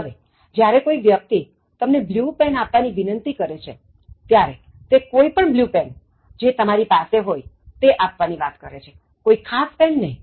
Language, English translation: Gujarati, Now, when the person is requesting you to give blue pen, the person is implying, give me any blue pen that you have, not specifically asking about a particular one